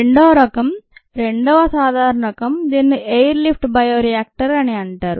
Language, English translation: Telugu, the second type, second common type that is used is what is called an air lift bioreactor